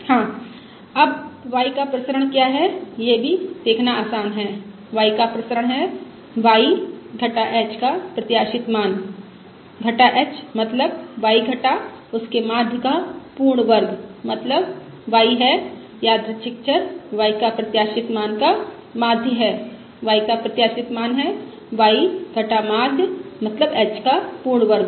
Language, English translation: Hindi, the variance of y is the expected value of y minus h, that is the quantity y minus its mean whole square, that is y minus the mean of the expected value for random variable